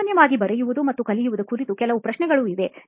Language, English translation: Kannada, Just a few questions on writing and learning generally